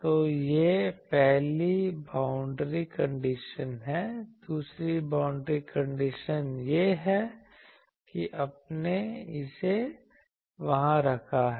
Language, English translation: Hindi, So, this is the first boundary condition the second boundary condition is that you put it there